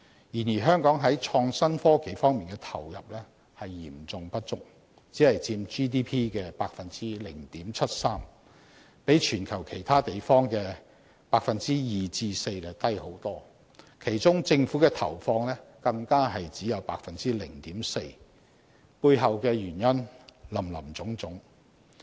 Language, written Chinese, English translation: Cantonese, 然而，香港在創新科技方面的投入嚴重不足，只佔 GDP 的 0.73%， 遠低於全球其他地方所佔的 2% 至 4%， 其中政府的投放更只有 0.4%， 背後的原因林林總總。, However Hong Kong has not been making adequate investment in IT as it only accounts for 0.73 % of the GDP which is far lower than the 2 % to 4 % of other places in the world . The Governments allocation only accounted for 0.4 % and there are all kinds of reasons behind that